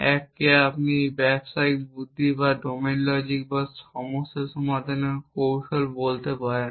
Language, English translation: Bengali, 1 is what you might call as business logic or the domain logic or the problem solving strategy